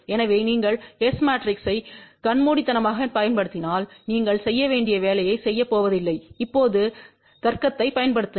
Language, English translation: Tamil, So, if you apply the S matrix blindly is not going to do the job you have to now apply the logic